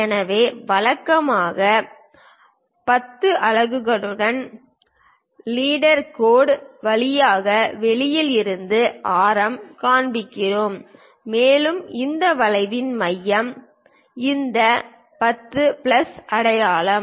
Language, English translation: Tamil, So, we usually show that radius from outside through leader line with 10 units and center of that arc is this 10 plus sign